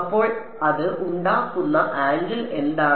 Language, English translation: Malayalam, So, what is the angle it makes